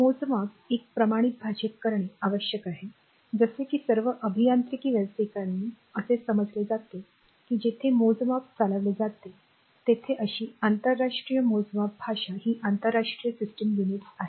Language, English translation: Marathi, So; however, I have measurement must be communicated in a standard language, such that all engineering professionals can understand irrespective of the country where the measurement is conducted such an international measurement language is the international system units